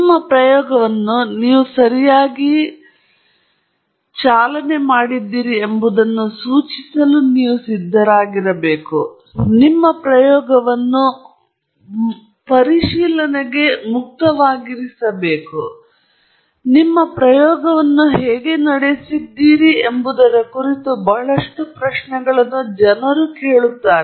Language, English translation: Kannada, You should feel ready to indicate in what ways you have run your experiment correctly, and your experiment should be open to scrutiny people should be able to ask you lot of questions on how you ran the experiment